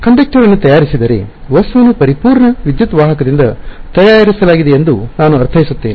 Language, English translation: Kannada, So, if the conductor is made I mean if the object is made out of a perfect electric conductor